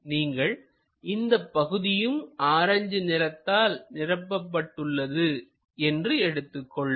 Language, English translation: Tamil, Let us consider, let us consider this entirely filled by this orange one ok